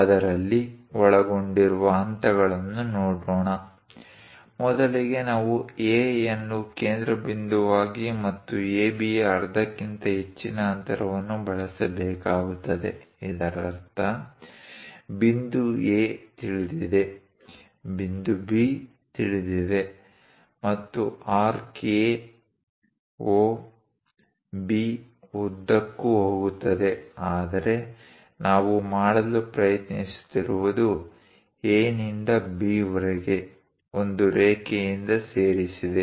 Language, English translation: Kannada, Let us look at the steps involved in that; first, we have to use with A as centre and distance greater than half of AB; that means, point A is known B is known, and the arc goes along A, O, B but what we are trying to do is; from A to B, join by a line